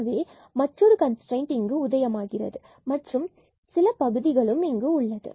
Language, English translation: Tamil, So, at another constraint will appear here and then some more terms there